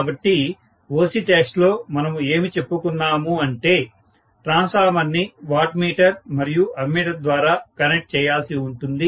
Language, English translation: Telugu, So, in OC test, what we said was that we are going to have the transformer connected through a wattmeter, right